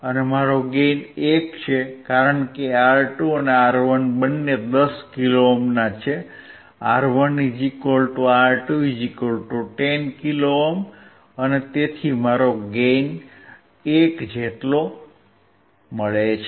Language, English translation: Gujarati, Now my gain is 1, because R2 and R1 both are 10 kilo ohm, R1 = R2 = 10 kilo ohm so, my gain is 1